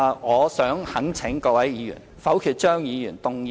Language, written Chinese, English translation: Cantonese, 我想懇請各位議員否決張議員動議的所有修正案。, I implore Members to vote against all amendments proposed by Dr CHEUNG